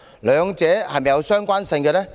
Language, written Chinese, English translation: Cantonese, 兩者是否相關？, Are these two subjects related?